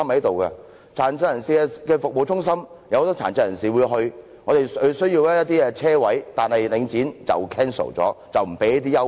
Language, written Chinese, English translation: Cantonese, 設有殘疾人士服務中心，自會有很多殘疾人士前往，當然需要一些車位，但領展卻取消相關的優惠。, It is only natural that locations with service centres for persons with disabilities will invite frequent visits of persons with disabilities and parking spaces will be necessary for them yet Link REIT has discontinued the relevant parking concessions